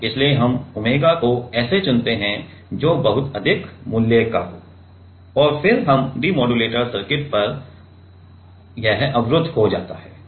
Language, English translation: Hindi, So, we choose the omega such that, that is very high value and then it gets blocked at the demodulator circuit